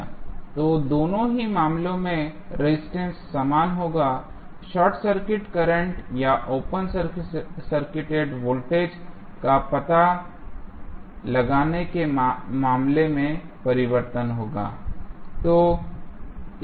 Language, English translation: Hindi, So, in both of the cases finding out the resistance will be same, change would be in case of finding out either the short circuit current or open circuit voltage